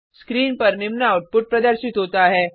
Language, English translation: Hindi, The following output is displayed on the screen